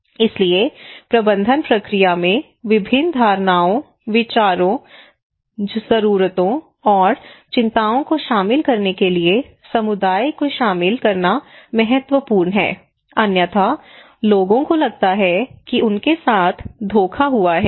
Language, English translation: Hindi, So involving community is important in order to incorporate different perceptions, different ideas, needs, and concerns into the management process otherwise people feel that they are cheated